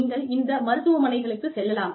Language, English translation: Tamil, You can go to these hospitals